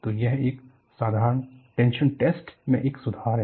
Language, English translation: Hindi, So, it is an improvement from a simple tension test